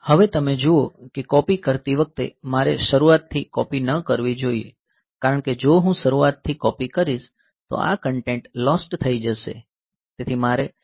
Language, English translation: Gujarati, Now you see that while doing the copy I should not copy from the beginning because if I copy from the beginning then this content will be lost so, I should copy from the last location onwards